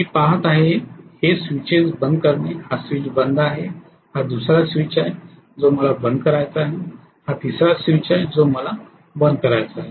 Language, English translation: Marathi, What I am looking at is to close these switches, this switch is closed, this is the second switch which I want to close, this is the third switch which I want to close